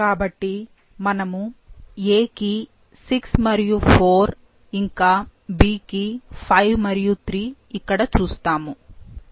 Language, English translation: Telugu, So, this is what we see 6 and 4 for A and 5 and 3 for the, for B